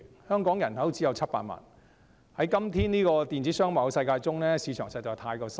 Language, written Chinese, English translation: Cantonese, 香港人口只有700萬，在現今電子商貿的世界中，市場實在太小。, With a population of only 7 million the Hong Kong market is too small in the modern world of e - commerce